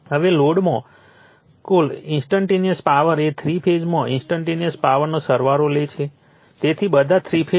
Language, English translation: Gujarati, Now, the total instantaneous power in the load is the sum of the instantaneous power in the three phases right, so all the three phases right